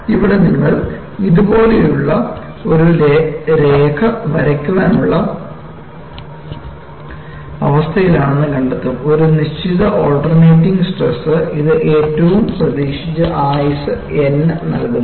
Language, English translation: Malayalam, And what you find here is, you are in a position to draw a line like this; that gives the least expected life N for a given alternating stress S